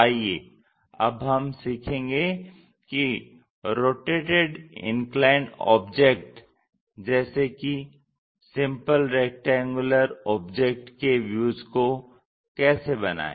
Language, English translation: Hindi, So, let us learn how to construct such kind of rotated inclined kind of objects even for the simple rectangular objects